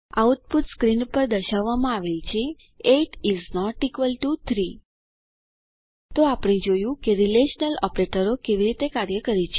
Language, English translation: Gujarati, The output is displayed on the screen: 8 is not equal to 3 So, we see how the relational operaotors work